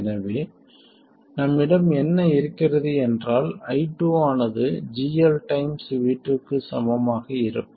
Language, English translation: Tamil, I2 will be equal to minus GL times V2